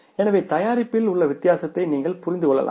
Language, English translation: Tamil, Now you can understand the difference in the product